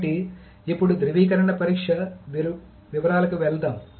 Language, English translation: Telugu, So let us now move on to the details of the validation test